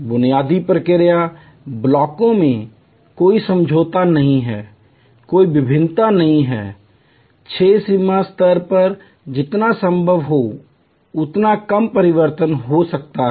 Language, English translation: Hindi, In the basic process blocks, there is no compromise; there is no variation, as little variation as can be possible at six sigma level